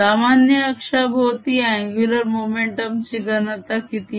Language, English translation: Marathi, how about the angular momentum density